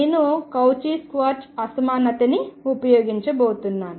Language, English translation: Telugu, So, I am going to have from Cauchy Schwartz inequality